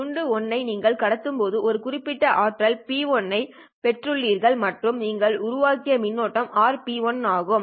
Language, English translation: Tamil, The answer is bit 1 when you have transmitted you have received a certain power p1r and the current that you have generated is r into p1r